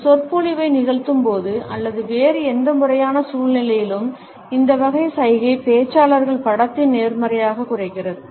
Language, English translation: Tamil, While delivering a lecture or during any other formal situation, this type of a gesture diminishes the positivity of the speakers image